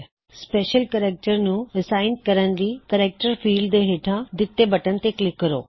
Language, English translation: Punjabi, To assign a special character, click on the button below the character field